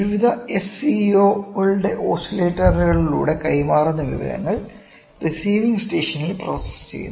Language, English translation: Malayalam, So, at the information transmitted through various SCOs oscillators is processed at the receiving station